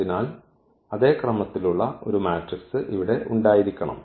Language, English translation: Malayalam, So, there should be a matrix here of the same order